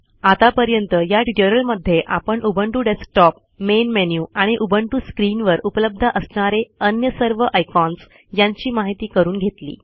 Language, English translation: Marathi, In this tutorial we learnt about the Ubuntu Desktop, the main menu and the other icons visible on the Ubuntu screen